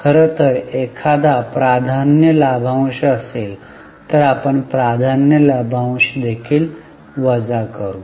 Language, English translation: Marathi, In fact if there is a preference dividend, we will deduct preference dividend also